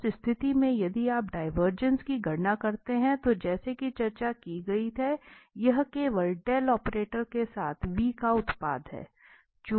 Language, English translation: Hindi, So, in that case if you compute the divergence, so, the divergence as discussed this is just the product with this del operator of this v